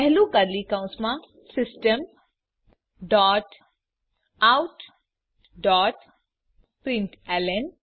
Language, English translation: Gujarati, Within curly brackets type System dot out dot println